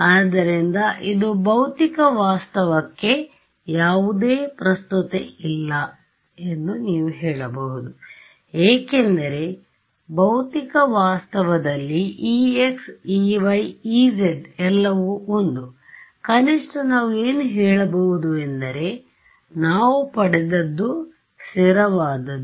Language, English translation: Kannada, So, this is, you can say that this has no relevance to physical reality because, in physical reality e x, e y, e z are all 1 right, at least what we can say is that what we have derived is consistent right